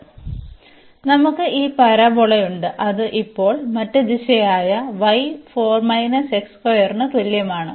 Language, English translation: Malayalam, So, we have this parabola which is other direction now y is equal to 4 minus x square